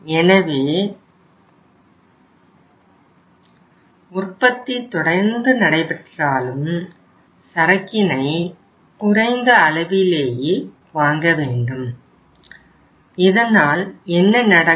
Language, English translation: Tamil, So when the production process is continuous but you are buying in the smaller quantities so what will happen